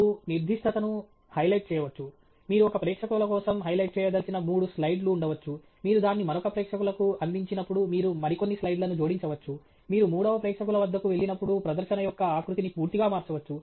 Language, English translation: Telugu, You may highlight specific, you know, may be there are three slides that you want to highlight for one audience, you may add couple more slides when you present it to another audience, you may completely change the format of presentation when you go to a third audience